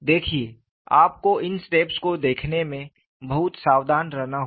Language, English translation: Hindi, See, you have to be very careful in looking at these steps